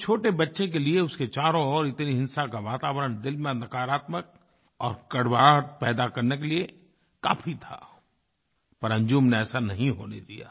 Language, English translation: Hindi, For a young child, such an atmosphere of violence could easily create darkness and bitterness in the heart, but Anjum did not let it be so